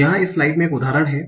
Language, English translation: Hindi, So here is is an example